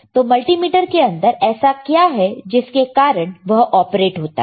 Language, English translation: Hindi, What is within the multimeter that operates the multimeter